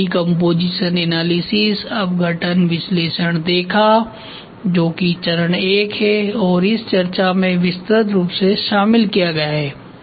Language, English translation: Hindi, We saw decomposition analysis that is phase I that will be covered in full length in this discussion